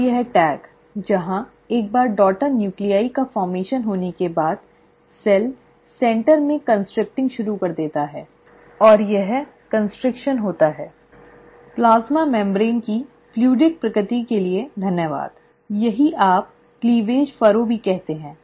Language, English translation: Hindi, Now, this tag, where, once a daughter nuclei have been formed, the cell actually starts constricting at the centre, right, and this constriction happens, thanks to the fluidic nature of the plasma membrane, this is what you also call as the cleavage furrow